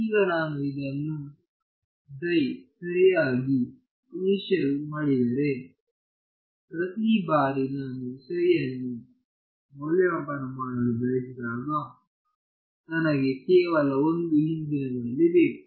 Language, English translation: Kannada, Now, if I initialize this psi n psi properly, then every time I want to evaluate psi, I just need one past value